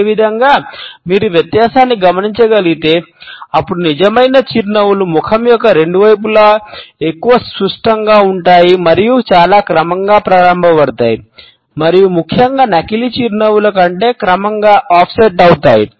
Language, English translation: Telugu, Similarly, if you are able to notice the difference then genuine smiles are often more symmetrical on both side of the face and have a much more gradual onset and particularly the much more gradual offset than fake smiles